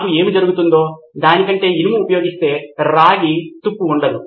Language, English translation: Telugu, If I use iron than what is happening is there is no copper corrosion